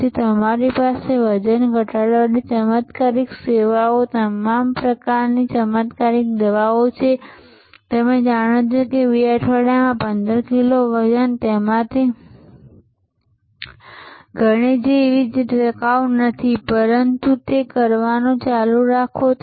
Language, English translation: Gujarati, So, you have all kinds of miracle drugs for weight loss miracle services for you know 15 kgs in 2 weeks and something like that many of those are them are not sustainable, but keep on doing it